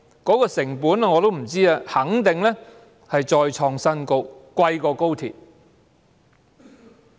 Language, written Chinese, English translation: Cantonese, 我不知成本是多少，但肯定再創新高，較高鐵更昂貴。, I have no idea how much it will cost but the figure will surely hit a new high exceeding that of the Express Rail Link project